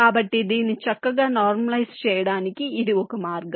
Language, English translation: Telugu, so this is one way to normalize it